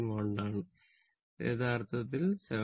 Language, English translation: Malayalam, So, that is actually 7